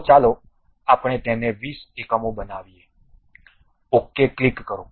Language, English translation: Gujarati, So, let us make it 20 units, click ok